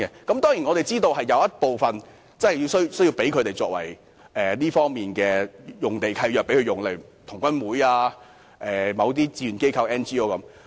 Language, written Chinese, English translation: Cantonese, 當然，我們知道有部分土地因為土地契約規定而作有關用途，例如香港童軍總會、志願機構和 NGO 的用地等。, Of course we know that some of these sites have been designated for the relevant use due to their lease provisions such as the sites of the Scout Association of Hong Kong volunteer organizations and non - governmental organizations